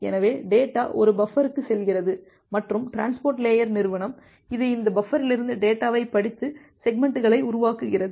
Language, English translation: Tamil, So, the data is going to a buffer, and the transport layer entity, it is reading the data from this buffer and creating the segments